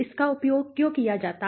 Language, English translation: Hindi, Why is it used